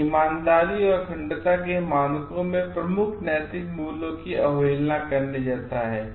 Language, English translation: Hindi, It is like disregarding the major ethical values in standards of honesty and integrity